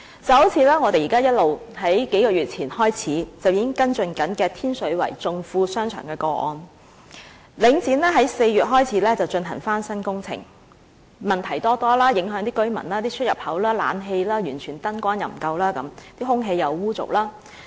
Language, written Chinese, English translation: Cantonese, 正如我們自數月前便已開始跟進的天水圍頌富商場個案，領展自4月開始進行翻新工程以來，問題多多，影響居民，出入口、冷氣和燈光均完全不足，空氣又污濁。, For example several months ago we began to follow up the case of Chung Fu Plaza in Tin Shui Wai . Since Link REIT started the renovation works in April many problems have arisen and residents are affected . The number of entrances the air conditioning and the lighting are all inadequate and the air is murky